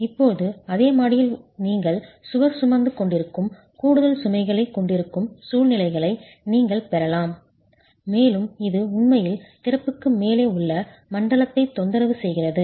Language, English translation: Tamil, Now you can have situations where in the same story you have additional loads that the wall is carrying and this actually is disturbing the zone above the opening